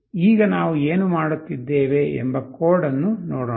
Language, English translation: Kannada, Now let us see the code, what we are doing